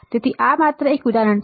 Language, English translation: Gujarati, So, this is a just an example